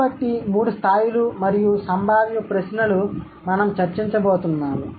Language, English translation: Telugu, So, the three levels and the potential questions that we are going to discuss